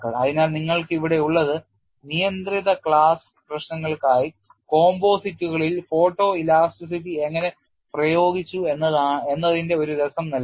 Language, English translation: Malayalam, So, what you have here is a flavor of how photo elasticity has been applied to composites for a restricted class of problem